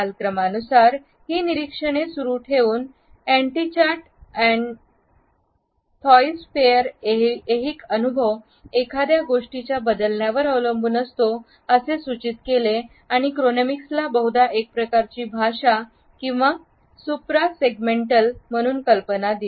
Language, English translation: Marathi, Continuing with these observations, Andy lucking and Thies Pfeiffer suggests that since temporal experience depends on the changing of something, Chronemics is probably best conceived of as a kind of paralinguistic or supra segmental feature